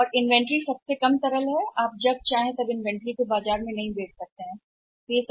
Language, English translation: Hindi, And inventory is the least liquid you cannot sell the inventory in the market as and when you wanted